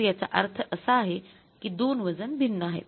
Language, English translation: Marathi, So, then two weights are different